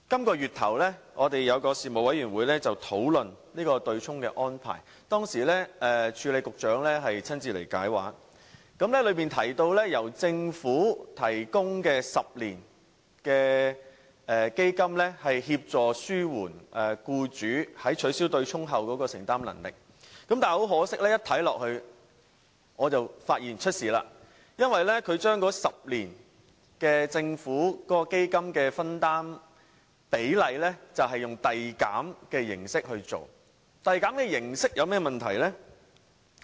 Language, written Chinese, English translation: Cantonese, 本月初，有一個事務委員會討論對沖的安排，當時署理局長親自前來解畫，當中提及由政府提供10年基金，協助紓緩僱主在取消對沖後的承擔能力，但很可惜，我一看便發現不妥，因為政府的10年基金的分擔比例採用遞減形式，遞減形式有何問題呢？, In a panel meeting at the beginning of this month discussions about the offsetting arrangement were made when the Acting Secretary came here to give explanations in person . In the discussion a 10 - year fund offered by the Government to help alleviate employers affordability after the abolition was mentioned . Unfortunately I saw a problem in that immediately that is the Governments share will reduce progressively over 10 years